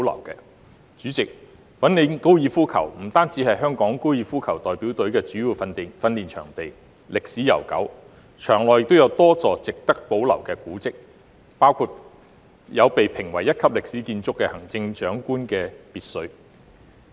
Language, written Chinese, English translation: Cantonese, 代理主席，粉嶺高爾夫球場是香港高爾夫球代表隊的主要訓練場地，歷史悠久，場內有多座值得保留的古蹟，包括被評為一級歷史建築的行政長官別墅。, Deputy President the Fanling Golf Course is the main training ground for Hong Kongs golf team . It has a long history and there are a number of monuments worth preservation including the official residence of the Chief Executive which has been listed as a Grade I historic building